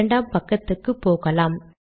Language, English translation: Tamil, Let us go to the second page